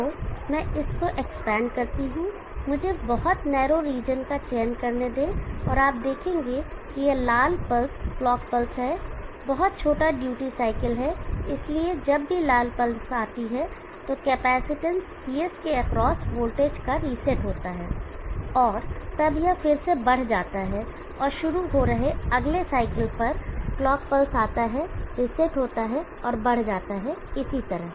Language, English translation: Hindi, So let me expand that let me select the various small narrow region and you see that this red pulse is the clock pulse very small duty cycle so whenever red pulse comes there is a reset of the voltage across the capacitance Cs and then it rises again and the starting of the next year cycle clock pulse comes reset and rises and so on